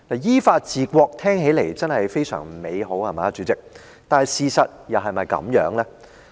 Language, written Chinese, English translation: Cantonese, 依法治國聽起來真的非常美好，主席，但是，事實又是否如此？, How sweet the rule by law sounds President but what about the reality?